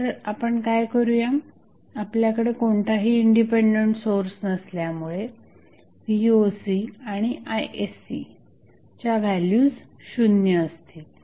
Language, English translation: Marathi, So, what we will do, since we do not have any independent source, the value of Voc and Isc is 0